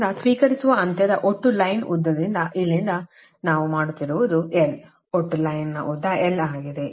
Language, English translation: Kannada, so what we are doing from the receiving end, total line length from here to here is l